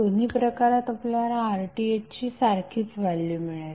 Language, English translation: Marathi, In both of the cases you will get the same value of RTh